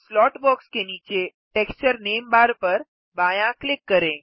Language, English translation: Hindi, Left click the cross sign at the right of the Texture name bar below the slot box